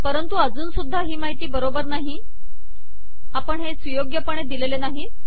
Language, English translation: Marathi, But of course this information is not correct yet, we are not citing them properly